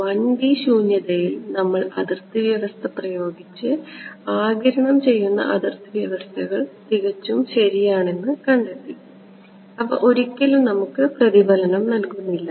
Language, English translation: Malayalam, In 1D vacuum we impose the boundary condition and we found that absorbing boundary condition was perfect right, they give us no reflection what so ever